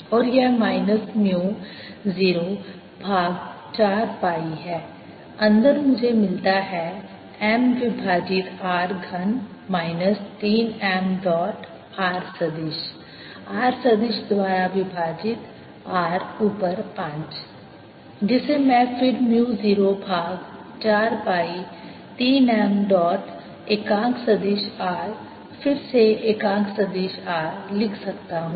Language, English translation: Hindi, i get m over r cubed minus three m dot r vector r vector divide by r, raise to five, which i can then write as mu naught over four pi three m dot unit vector r, unit vector r again